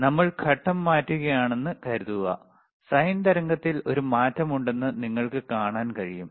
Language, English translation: Malayalam, So, suppose we are changing the phase, you can see that there is a change in the sine wave